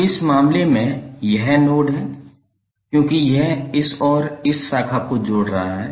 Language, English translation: Hindi, Now in this case this is the node because it is connecting this and this branch